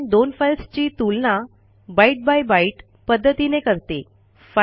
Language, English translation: Marathi, It compares two files byte by byte